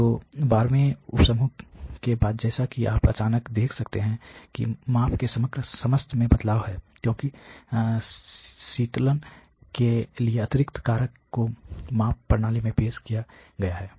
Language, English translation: Hindi, So, after the 12th sub group as you can see suddenly there is a change in the overall level of the measurements, because of this additional factor of the cooling which has been introduced into the measurement system ok